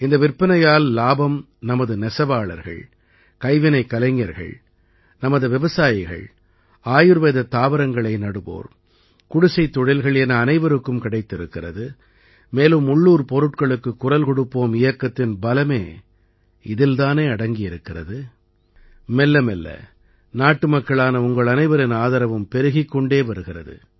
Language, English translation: Tamil, Benefiting from these sales are our weavers, handicraft artisans, our farmers, cottage industries engaged in growing Ayurvedic plants, everyone is getting the benefit of this sale… and, this is the strength of the 'Vocal for Local' campaign… gradually the support of all you countrymen is increasing